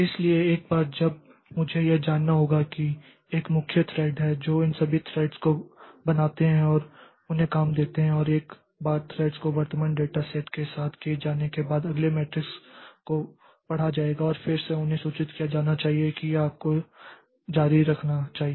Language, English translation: Hindi, So, once, so I need to know that there is a main thread which creates all these threads and gives the job to them and once the threads are over, threads are done with the current data set then the next matrix will be read and again they will be they should be informed that now we should continue